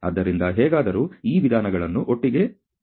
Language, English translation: Kannada, So, have to somehow move these means together